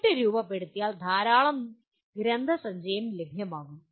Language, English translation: Malayalam, And then having formulated, there would be lot of literature available